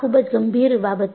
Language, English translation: Gujarati, It is a very serious matter